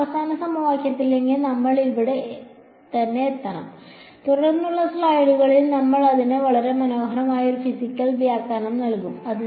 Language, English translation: Malayalam, We have to come to this final equation over here right, and in the subsequent slides we will give a very beautiful physical interpretation to it ok